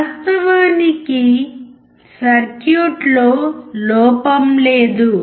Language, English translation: Telugu, Actually there was no error in the circuit